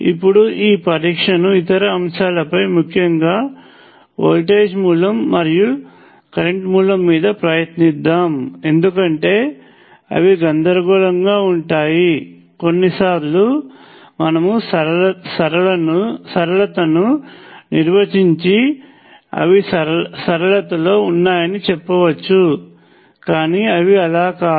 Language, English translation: Telugu, Now let us try this test on other elements; particularly voltage source and the current source, because they can be confusing sometimes you can apply I would definition of linearity and say that linear but they are not